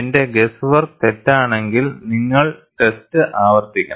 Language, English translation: Malayalam, If my guess work is wrong, you have to repeat the test